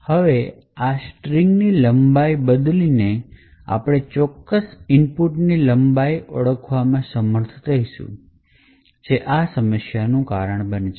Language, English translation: Gujarati, Now by changing the length of this particular string we would be able to identify the exact length of the input which causes this problem